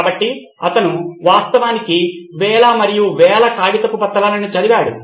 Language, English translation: Telugu, So he actually went through thousands and thousands of paper documents